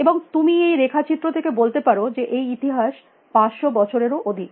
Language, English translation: Bengali, And you can see, from this diagram that it is about more than 500 years of history